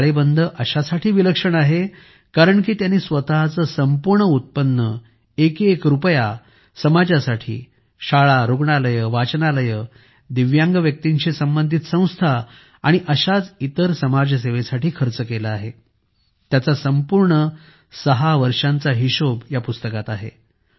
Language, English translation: Marathi, This Balance Sheet is unique because he spent his entire income, every single rupee, for the society School, Hospital, Library, institutions related to disabled people, social service the entire 6 years are accounted for